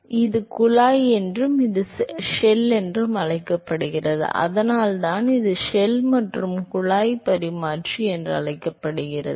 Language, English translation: Tamil, So, this is called the tube and this is called the shell; that is why it called the shell and tube exchanger